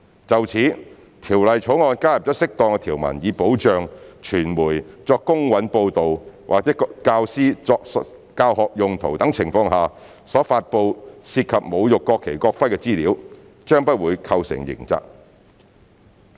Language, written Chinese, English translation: Cantonese, 就此，《條例草案》加入了適當條文，以保障傳媒作公允報道或教師作教學用途等情況下所發布涉及侮辱國旗、國徽的資料，不會構成刑責。, In this regard the Bill adds appropriate provisions to protect publication of information that insult the national flag and national emblem from constituting a criminal offence for the purposes of fair reporting by the media or teaching purposes by teachers